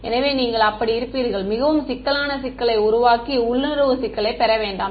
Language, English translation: Tamil, So, you will be so, make a very complicated problem and get no intuition problem